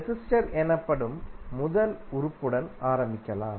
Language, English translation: Tamil, So let start with the first element called resistor